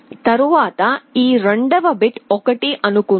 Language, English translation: Telugu, Next let us assume that this second bit is 1